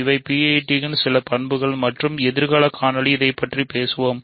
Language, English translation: Tamil, So, these are some of the properties of PIDs and in the future videos, we will talk more about this